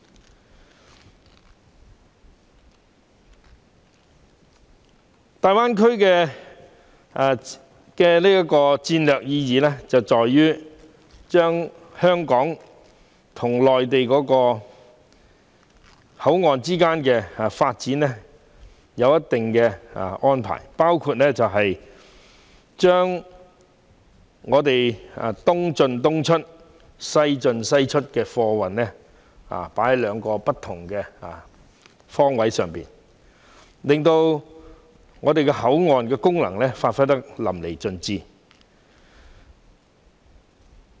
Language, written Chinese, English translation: Cantonese, 至於大灣區的戰略意義，在於國家會對香港與內地口岸往後的發展作出相應安排，按"東進東出、西進西出"的規劃原則，從兩個不同方向發展貨運，令香港口岸的功能發揮得淋漓盡致。, As to the strategic significance of the Greater Bay Area it lies in the fact that the State will make corresponding arrangements for the future development of Hong Kong and Mainland ports . Freight transport will be developed in two different directions according to the planning principle of East in East out West in West out thus allowing Hong Kong ports to give full play to their functions